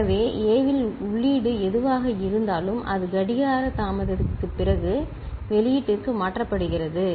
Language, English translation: Tamil, So, whatever is the input at A, that is getting transferred to the output after 8 clock delay, right